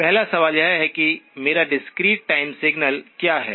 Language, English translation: Hindi, First question is what is my discrete time signal